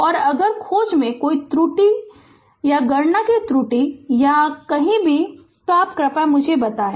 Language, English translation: Hindi, And if you find I am made any calculation error, or anywhere you just please let me know